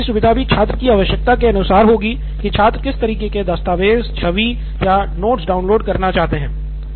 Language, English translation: Hindi, And download would be with respect to the requirement of a student, what kind of a document or a image or a note they want to download